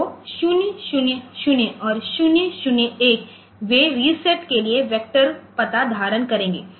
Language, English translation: Hindi, So, 000 and 001 so, they will hold the vector address for the reset